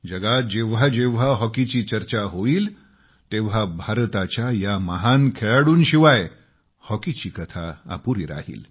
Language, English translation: Marathi, Wheneverthere will be reference to Hockey,the story will remain incomplete without a mention of these legends